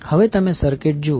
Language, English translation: Gujarati, Now, if you see the circuit